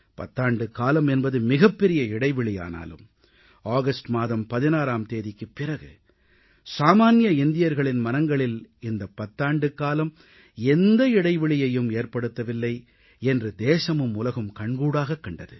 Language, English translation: Tamil, Ten years is a huge gap but on 16th August our country and the whole world witnessed that there was not a gap of even a single moment in the commonman's heart